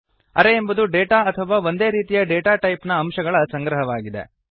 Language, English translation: Kannada, Array is the collection of data or elements of same data type